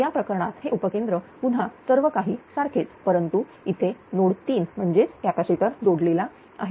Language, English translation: Marathi, So, in that case this is substation again everything is same, but here at node 3; that this capacitor is connected